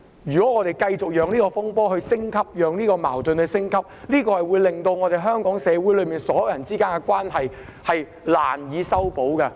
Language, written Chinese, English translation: Cantonese, 如果我們繼續讓這個風波和矛盾升級，只會令香港所有人之間的關係難以修補。, If we continue to allow this turmoil and conflict to escalate the mending of the relationships among all people in Hong Kong will be made difficult